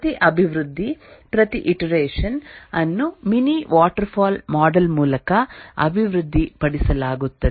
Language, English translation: Kannada, And each iteration is developed through a mini waterfall model